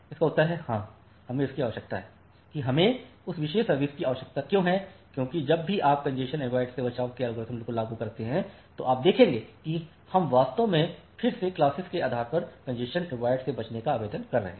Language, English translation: Hindi, The answer is yes, we need why we need that particular service because whenever you are applying the congestion avoidance algorithm you will see that we are actually again applying congestion avoidance on class based